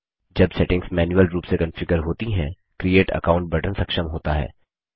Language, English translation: Hindi, When the settings are configured manually, the Create Account button is enabled